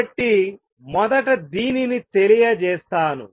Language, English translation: Telugu, So, let me state this first